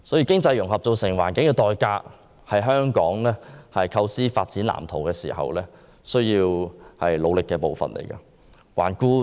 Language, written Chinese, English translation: Cantonese, 經濟融合造成的環境代價，是香港構思發展藍圖時需要處理的事宜。, When conceiving the development blueprint the Government has to deal with the environmental cost of economic integration